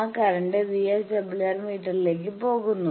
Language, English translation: Malayalam, This is the VSWR meter display